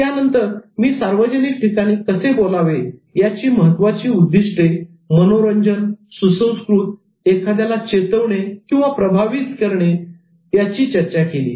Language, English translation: Marathi, And then I talked about main objectives of public speaking which are to entertain, educate, provoke and then influence